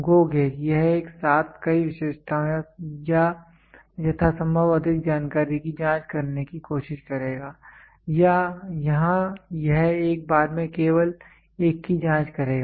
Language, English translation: Hindi, GO gauge it will try to check simultaneously as many features or as many information as possible, here it will check only one at a time